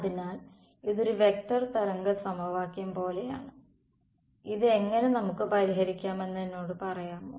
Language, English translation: Malayalam, So, its like a vector wave equation do I know how to solve this we do